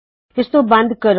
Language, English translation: Punjabi, Let me close this